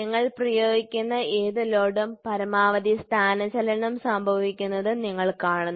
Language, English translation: Malayalam, So, the load whatever you apply you see maximum displacement happening